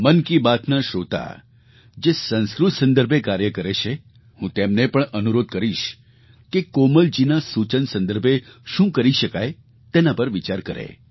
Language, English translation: Gujarati, I shall also request listeners of Mann Ki Baat who are engaged in the field of Sanskrit, to ponder over ways & means to take Komalji's suggestion forward